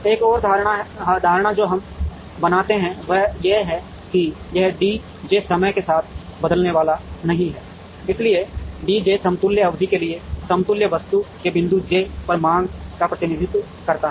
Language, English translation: Hindi, Another assumption that we make is that, this D j is not going to change with time, so D j represents the demand at point j of an equivalent item, for the equivalent period